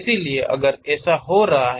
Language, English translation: Hindi, So, if that is happening